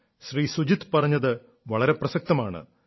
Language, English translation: Malayalam, Sujit ji's thought is absolutely correct